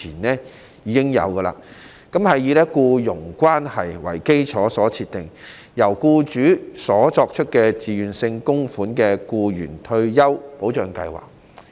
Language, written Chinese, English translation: Cantonese, 職業退休計劃以僱傭關係為基礎，由僱主作出自願性供款，為僱員提供退休保障。, OR Schemes are employment - based with employers making voluntary contributions to provide retirement protection for employees